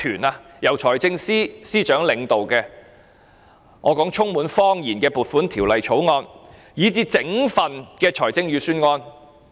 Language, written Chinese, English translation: Cantonese, 這是由財政司司長領導的充滿謊言的撥款條例草案和預算案。, The Appropriation Bill and the Budget under the leadership of the Financial Secretary are full of lies